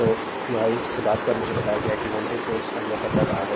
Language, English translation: Hindi, So, this at this is I told you voltage source is observing power